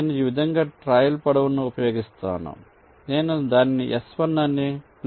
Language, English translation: Telugu, let say i use a trail length like this: i call it s one